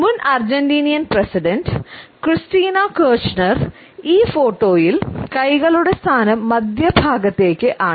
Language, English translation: Malayalam, In this photograph of former Argentinean president Christina Kirchner, we find that is similar mid position of clenched hands has been displayed